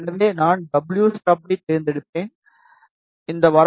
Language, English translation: Tamil, So, I will select wstub, and this range is 0